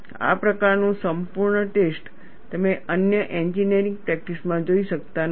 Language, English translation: Gujarati, This kind of exhaustive testing, you do not see in other engineering practices